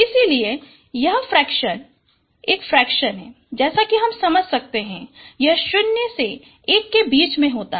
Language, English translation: Hindi, So this fraction is a fraction as you understand it varies from 0 to 1